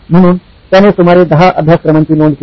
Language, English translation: Marathi, So he enumerated about 10 courses